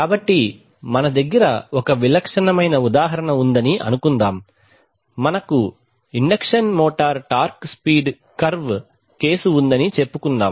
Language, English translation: Telugu, So typical example is suppose we have, say we have the case of an induction motor torque speed curve okay